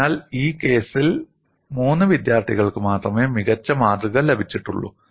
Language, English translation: Malayalam, So, that means only three students have got very good specimen made for this case